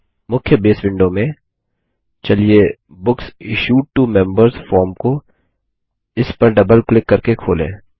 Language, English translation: Hindi, In the main Base window, let us open the Books Issued to Members form by double clicking on it